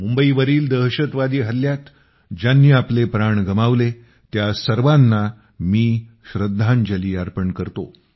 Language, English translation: Marathi, I pay homage to all of them who lost their lives in the Mumbai attack